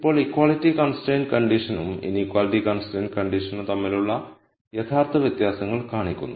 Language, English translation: Malayalam, Now this real di erences between the equality constraint condition and the inequality constrained situation shows up